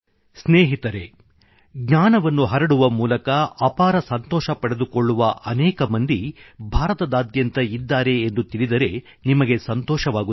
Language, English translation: Kannada, But you will be happy to know that all over India there are several people who get immense happiness spreading knowledge